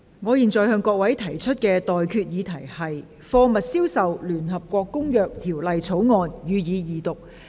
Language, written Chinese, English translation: Cantonese, 我現在向各位提出的待決議題是：《貨物銷售條例草案》，予以二讀。, I now put the question to you and that is That the Sale of Goods Bill be read the Second time